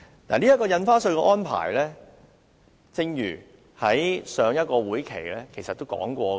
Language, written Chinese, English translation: Cantonese, 有關印花稅的安排，在上個會期其實已討論過。, Regarding the stamp duty arrangement discussions were made in the last legislative session